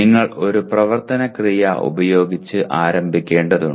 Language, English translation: Malayalam, You just have to start with an action verb